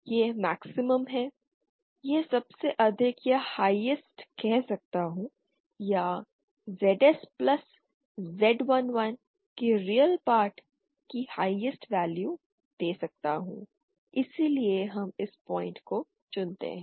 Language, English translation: Hindi, This has the maximum, this creates the most I can say the most or the highest or give the highest value of the real part of ZS plus Z 1 1 that why we choose this point